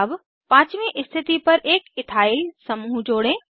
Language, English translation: Hindi, Let us add an Ethyl group on the fifth position